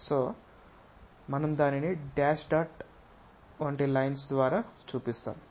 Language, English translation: Telugu, So, we show it by a dash dot kind of line